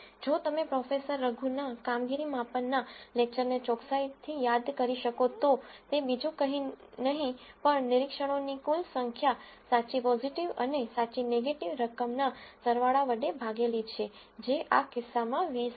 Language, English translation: Gujarati, If you can recall from Professor Raghu’s performance measure lecture accuracy is nothing but the sum of the true positive and true negative divided by the total number of observations which is 20 in this case